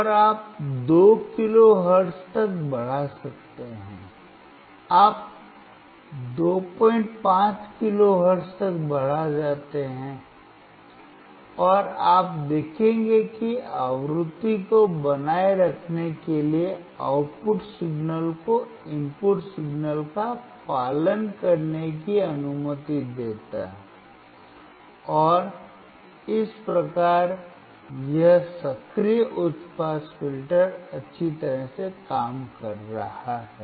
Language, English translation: Hindi, 5 kilo hertz, and you will see that keep keeping increasing the frequency will also allow the output signal to follow the input signal, and thus, this active high pass filter is working well